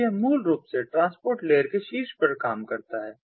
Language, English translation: Hindi, it basically works on top of the transport layer